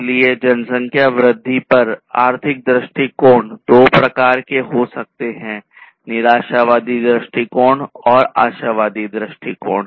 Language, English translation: Hindi, So, economic view on the population growth can be of two types: pessimistic view and optimistic view